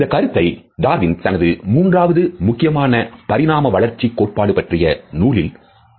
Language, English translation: Tamil, This idea was presented by Darwin in his third major work of evolutionary theory